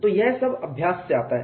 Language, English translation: Hindi, So, all that comes from practice